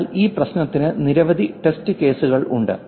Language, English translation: Malayalam, But there are many test cases for this problem